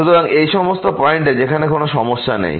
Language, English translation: Bengali, So, at all these points where there is no problem